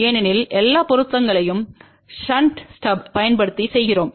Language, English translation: Tamil, Because we are doing all the matching using shunt stub